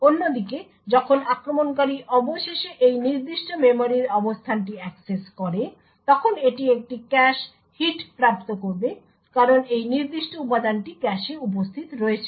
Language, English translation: Bengali, On the other hand when the attacker finally accesses this specific memory location it would obtain a cache hit due to the fact that this particular element is present in the cache